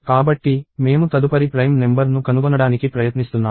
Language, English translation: Telugu, So, we are trying to find out the next prime number